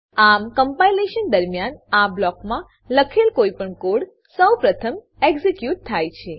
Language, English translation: Gujarati, So, any code written inside this block gets executed first during compilation